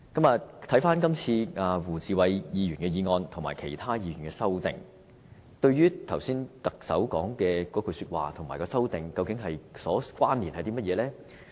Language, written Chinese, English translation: Cantonese, 至於胡志偉議員提出的議案，以及其他議員提出的修正案，跟特首剛才的那番說話有甚麼關連呢？, As to the motion moved by Mr WU Chi - wai and amendments moved by other Members what is the connection between them and the remarks made by the Chief Executive?